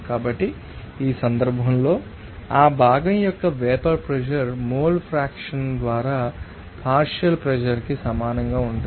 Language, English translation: Telugu, So, in this case we can write then vapour pressure of that component will be equal to simply you know that by partial pressure by it is mole fraction